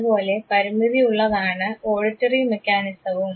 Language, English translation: Malayalam, So is the limitation even with our auditory mechanism